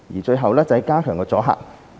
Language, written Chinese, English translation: Cantonese, 最後是加強阻嚇。, The final aspect is to enhance deterrence